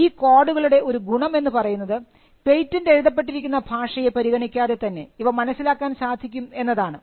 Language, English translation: Malayalam, The advantage of these codes is that regardless of in what language the patent is written